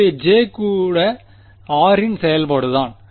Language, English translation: Tamil, So, even J is a function of r